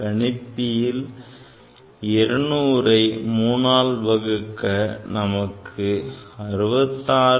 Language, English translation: Tamil, So, you can divide this 200 rupees like this 66